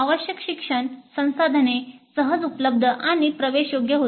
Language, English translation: Marathi, So the required learning resources were easily available and accessible